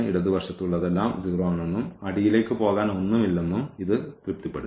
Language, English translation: Malayalam, So, it satisfied that everything left to the 0 and there is nothing to go to the bottom